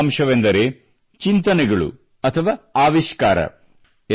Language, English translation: Kannada, The first aspect is Ideas and Innovation